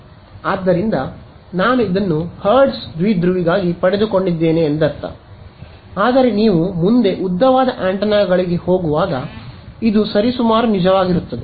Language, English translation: Kannada, So, I mean I derived this for hertz dipole, but it will also be roughly true as you go to longer antennas